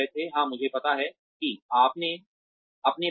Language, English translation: Hindi, Yes, I know that, about myself